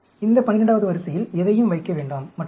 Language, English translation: Tamil, Do not put anything on this 12th row, and so on